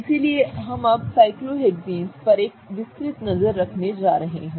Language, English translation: Hindi, So, we are going to have a detail look at cyclohexanes now